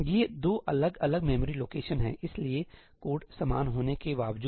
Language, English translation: Hindi, These are 2 different memory locations, even though the code is the same